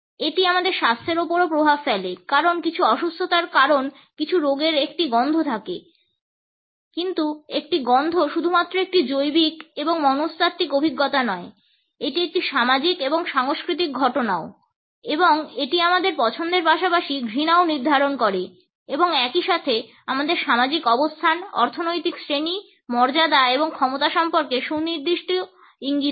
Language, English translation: Bengali, It is also influenced by our health because certain illnesses because certain ailments have an odor, but a smell is not just a biological and psychological experience, it is also a social and cultural phenomena and it determines our preference as well as aversions and at the same time it passes on definite clues about our social positions, economic class, status and power